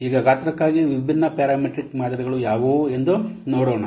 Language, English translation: Kannada, Now let's see what are the different parametric models for size